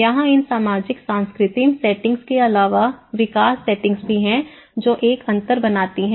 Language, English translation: Hindi, Here, apart from these social cultural settings, there is also development settings which makes a difference